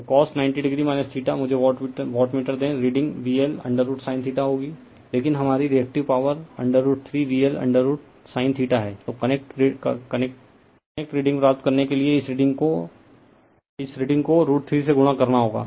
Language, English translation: Hindi, So, cos ninety degree minus theta , let me wattmeter , reading will be V L I L sin theta right , but our Reactive Power is root 3 V L I L sin theta ,then this reading has to be multiplied by root 3 to get the connect reading right